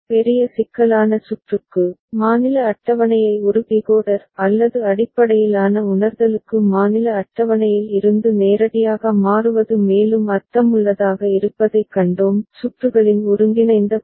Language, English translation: Tamil, And for large complex circuit, we have seen that it may make more sense to convert the state table to a Decoder OR based realization directly from the state table itself and the combinatorial part of the circuit